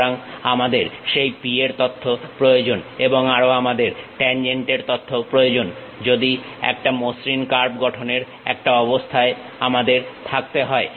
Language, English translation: Bengali, So, we require that P informations and also we require the tangent informations, if we have we will be in a position to draw a smooth curve